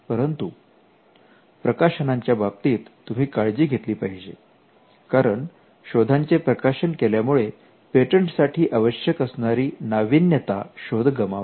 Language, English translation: Marathi, But publication you have to be careful because the publication can kill the novelty aspect of a patent